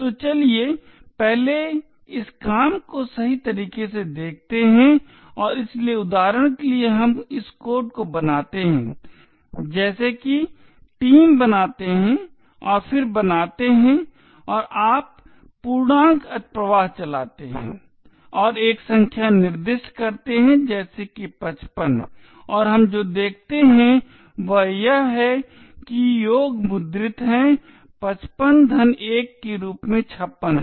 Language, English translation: Hindi, So let us first see this working in the right way and so for example let us make this code as follows make team and then make and you run integer overflow and specify a number a such as 55 and what we see is that the sum is printed as 55 plus 1 is 56